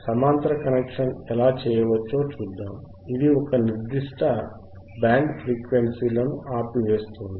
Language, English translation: Telugu, We will see how the parallel connection can be done right, the name itself that it will stop a particular band of frequencies